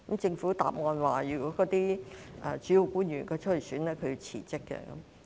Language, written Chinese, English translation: Cantonese, 政府答稱，有關主要官員如要參選，便須辭職。, The Government replied that the principal official concerned would have to resign if he wished to run in the election